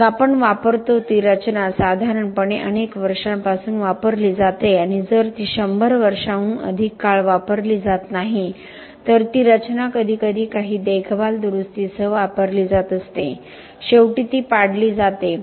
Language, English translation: Marathi, Then we have the usage the structure is used from many many years normally and if not for more than 100 years so the structure is going on being used with sometimes some maintenance some repair, finally it is demolished